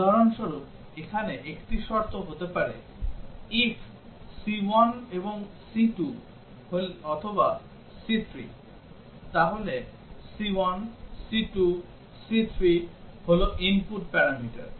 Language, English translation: Bengali, For example, one of the condition here may be if c1 and c2 or c3, so c1, c2, c3 are the input parameters